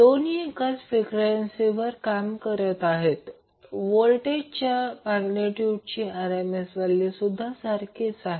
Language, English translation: Marathi, So, both are operating at same frequency but the and also the RMS value of the voltage magnitude is same, but angle is different